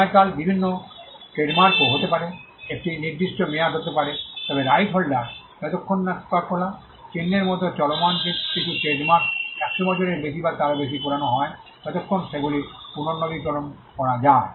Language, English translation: Bengali, The duration can also be different trademarks can be are for a fixed term, but they can be renewed as long as the right holder places some of the trademarks that are in operation like the coca cola mark are very old close to 100 years or more